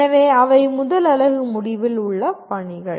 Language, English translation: Tamil, So those are the assignments at the end of the first unit